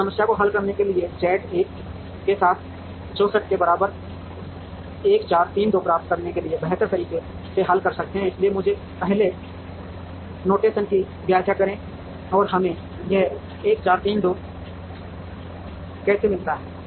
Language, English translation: Hindi, We solve this problem optimally to get the solution 1 4 3 2 with Z equal to 64, so let me explain first the notation and how we get this 1 4 3 2